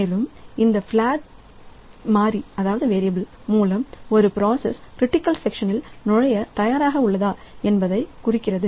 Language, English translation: Tamil, And by this flag variable it is used to indicate if a process is ready to enter into the critical section